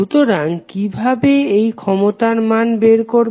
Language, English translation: Bengali, So, how will calculate the value of power